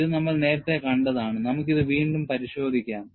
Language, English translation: Malayalam, This we had already seen earlier, we will again have a look at it